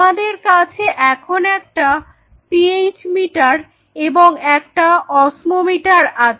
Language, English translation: Bengali, So, now, a PH meter you have an osmometer